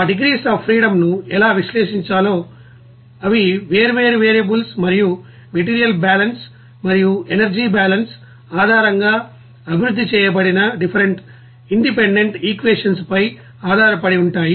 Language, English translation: Telugu, And also, how to you know analyze that number of degrees of freedoms, they are based on different variables and even different independent you know equations that is developed based on material balance and energy balance